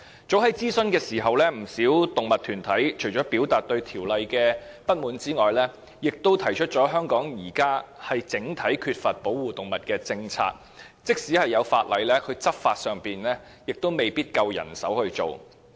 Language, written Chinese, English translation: Cantonese, 早在諮詢期間，不少動物團體除了表達對法例的不滿外，亦指出香港現時欠缺保護動物的整體政策，而即使已有法例，亦未必有足夠的人手執法。, During the consultation period many animal groups had expressed dissatisfaction with the legislation and pointed out that a comprehensive policy was not in place to protect animals in Hong Kong . And even if the relevant legislation was enacted there might not be sufficient staff to take enforcement actions